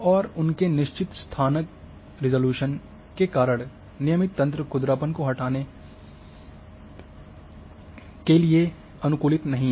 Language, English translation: Hindi, And due to their fixed spatial resolution regular grids are not adapted to changes in relief roughness